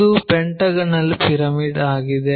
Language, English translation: Kannada, So, a pyramid is a pentagonal pyramid